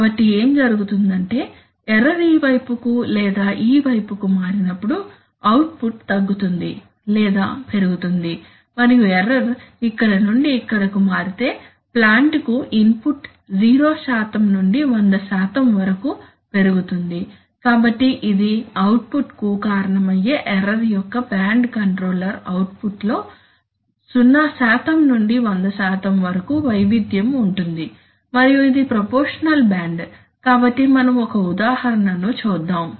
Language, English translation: Telugu, So what happens is that as the error changes to this side or to this side, the output decreases or increases and if the error changes from here to here the input to the plan increases from 0 % to 100%, so this is the band of error which causes the, causes an output, a variation in the controller output from 0% to 100% and this is the proportional band, right, so look at, let us look at an example